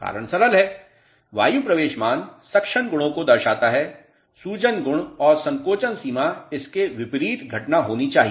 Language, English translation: Hindi, The reason is simple, air entry value talks about the suction properties, swelling properties and shrinkage limit should be opposite phenomena to this